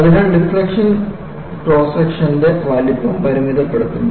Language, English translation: Malayalam, So, the deflection limits the size of the cross section